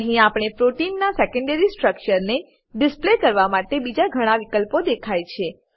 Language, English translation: Gujarati, Here we see many more options to display secondary structure of protein